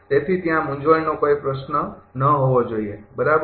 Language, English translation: Gujarati, So, there should not be any question of confusion, right